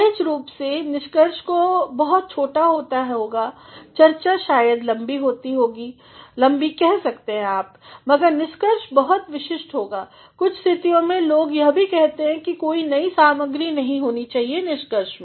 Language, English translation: Hindi, Naturally, the conclusion will have to be very sort no the discussion part may be large, but the conclusion part will be very specific in certain cases people also say, that no new material should there be in conclusion